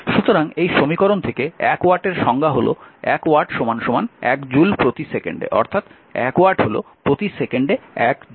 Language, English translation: Bengali, So, that is 1 watt from this equation 1 watt is equal to your 1 joule per second it is one joule per second right